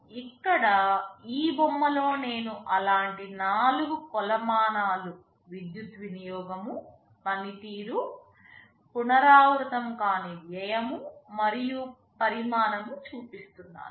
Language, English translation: Telugu, Here in this diagram, I am showing four such metrics, power consumption, performance, non recurring expenditure, and size